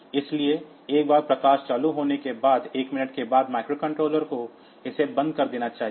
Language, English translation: Hindi, So, microcontroller after 1 minute it should turn it off